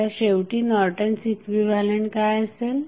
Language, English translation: Marathi, So, finally what would be your Norton's equivalent